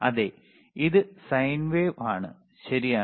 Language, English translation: Malayalam, Yes, this is sine wave, all right